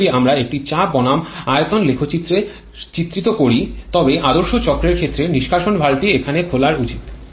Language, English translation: Bengali, Now if we plot a pressure versus volume graph representation then in case of ideal cycle it should open here the exhaust valve